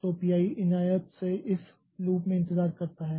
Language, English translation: Hindi, So, it is waiting in this loop